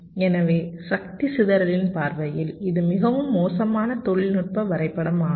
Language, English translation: Tamil, so from the point of view of power dissipation this is a very bad technology mapping